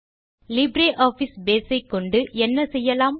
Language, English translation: Tamil, What can you do with LibreOffice Base